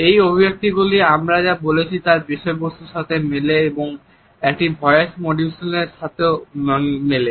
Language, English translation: Bengali, These expressions match the content of what we are saying and they also match the voice modulations